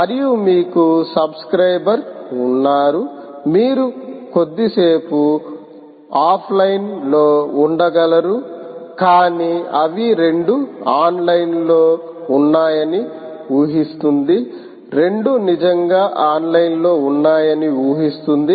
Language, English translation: Telugu, you can be offline for a while, for a short while, but by and large it assumes that both are online, it assumes that both are really online